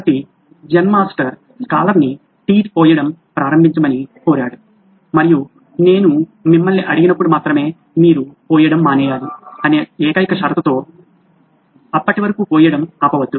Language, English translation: Telugu, So the Zen Master asked the scholar to start pouring tea and with the only condition that you should stop pouring only when I ask you to, till then don’t stop pouring